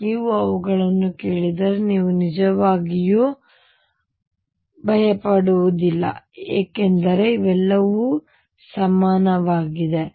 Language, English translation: Kannada, So, that if you hear them you do not really feel intimidated what it is all these are equivalent